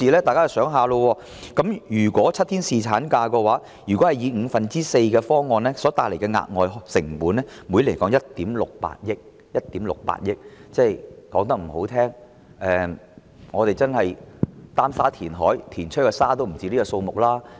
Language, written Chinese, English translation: Cantonese, 大家想一想，如果是7天侍產假，以支薪五分之四的方案來計算，每年所帶來的額外成本是1億 6,800 萬元；說得難聽一點，我們擔沙填海，填出來的沙也不止這個數目。, Let us think about it . In the case of seven - day paternity leave if calculated based on the proposal of four fifths of the employees daily wages the extra cost so incurred per year is 168 million . It may sound harsh but the sand for our reclamation projects might cost more than this amount